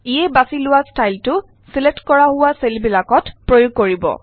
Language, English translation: Assamese, This will apply the chosen style to the selected cells